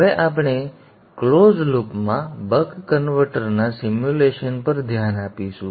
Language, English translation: Gujarati, We shall now look at the simulation of a buck converter in closed loop